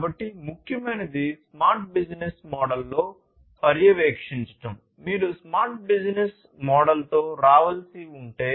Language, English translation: Telugu, So, what is important is to monitor in a smart business model; if you have to come up with a smart business model